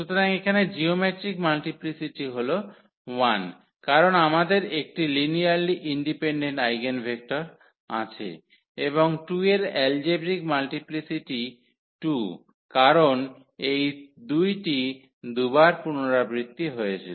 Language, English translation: Bengali, So, here the geometric multiplicity is 1, because we have 1 linearly independent eigenvector and the algebraic multiplicity of 2 is 2 because this 2 was repeated 2 times